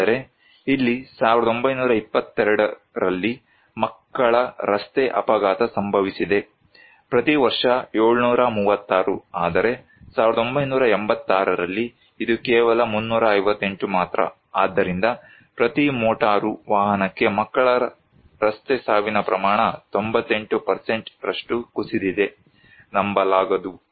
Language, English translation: Kannada, But, here is the road accident of children in 1922, every year 736, whereas in 1986, this is only 358, so the child road death rate per motor vehicle has fallen by 98%, unbelievable